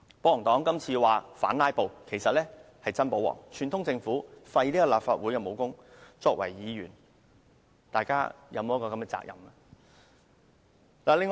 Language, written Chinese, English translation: Cantonese, 保皇黨這次說是反"拉布"，實際是真保皇，串通政府廢除立法會的武功，我們作為議員，是否有責任阻止呢？, They claimed that their current effort is made in opposition to filibustering but it is in fact aimed to protect the ruler by colluding with the Government to nullify the powers of this Council . And so is it not our responsibility as legislators to stop this from happening?